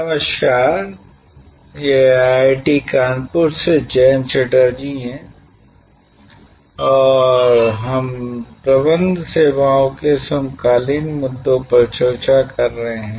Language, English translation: Hindi, Hello, this is Jayanta Chatterjee from IIT, Kanpur and we are discussing Managing Services contemporary issues